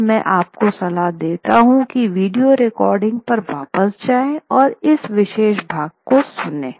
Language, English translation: Hindi, Now, I would advise you to go back to the, go back to the video recording and listen to this particular portion